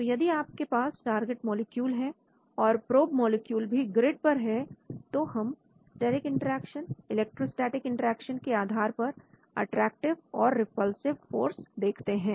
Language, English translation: Hindi, So if you have the target molecule placed and you have a probe molecule placed at each of this grid we look at the attractive and repulsive forces based on steric interaction, electrostatic interaction